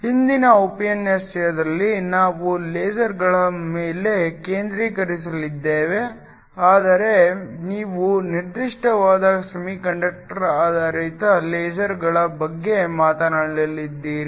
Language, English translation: Kannada, In today’s lecture we are going to focus on LASERs, but you are going to spoke a specifically on semiconductor based lasers